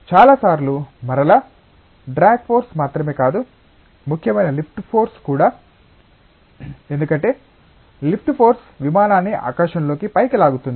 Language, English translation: Telugu, Many times again the issue of not just a drag force, but lift force that is important, because the lift force pulls the aircraft up in the sky